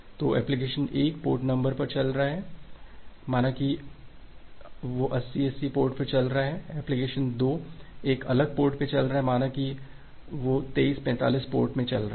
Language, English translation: Hindi, So, this port number application 1 runs in one port say it is running in 8080 port, application 2 runs in a different port say it is running in 2345 port